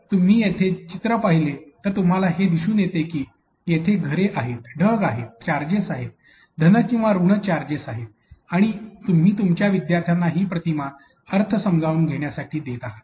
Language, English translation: Marathi, So, if you see this picture image here, you could be able to see that you have houses, you have clouds, we have charges, positive or negative charges being formed and there and then you are giving your students to be able to make sense of the image that is presented